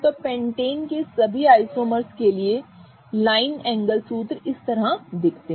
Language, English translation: Hindi, So, the line angle formulas for all the isomers of Pentane look like this